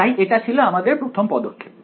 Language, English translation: Bengali, So, that was step 1